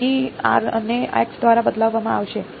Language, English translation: Gujarati, So, r will get substituted as x by